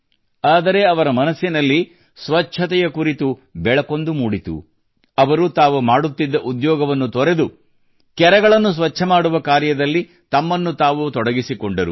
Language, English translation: Kannada, However, such a sense of devotion for cleanliness ignited in his mind that he left his job and started cleaning ponds